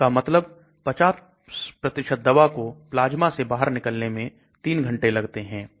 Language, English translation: Hindi, That means 50% of the drugs get eliminated from the plasma in 3 hours